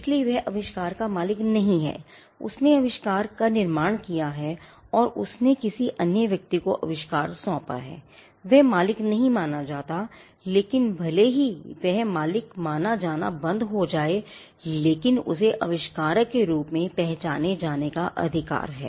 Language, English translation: Hindi, So, he is not the owner of the invention or he created the invention and assigned the invention to another person again he ceases to be the owner, but even if it ceases to be the owner, he has the right to be recognized as the inventor